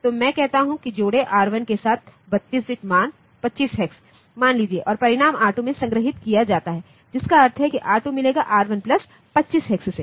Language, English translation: Hindi, So, I say that add R1 comma say some 32 bit value say 25 hex, and the result be stored in R2, meaning R2 will get R1 plus 25 hex